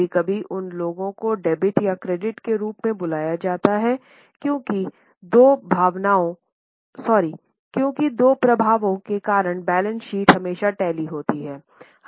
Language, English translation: Hindi, Sometimes those are called as debit or credit because of two effects the balance sheet always tally